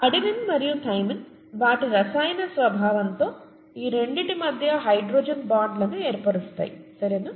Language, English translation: Telugu, Adenine and thymine by their very nature, by the very chemical nature can form hydrogen bonds between these two, okay